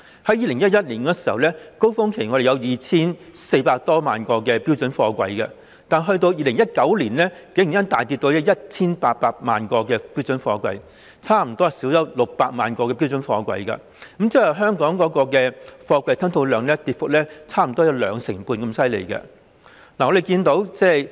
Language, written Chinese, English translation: Cantonese, 在2011年，香港在高峰期有 2,400 多萬個標準貨櫃；及至2019年，竟然大跌至 1,800 萬個，差不多少了600萬個，即是說香港的貨櫃吞吐量跌幅差不多有兩成半。, In terms of container throughput Hong Kong reached its peak in 2011 handling some 24 million twenty - foot equivalent units TEUs; but in 2019 our container throughput dropped to 18 million TEUs . A decrease of almost 6 million TEUs which means that the container throughput of Hong Kong has dropped by almost 25 %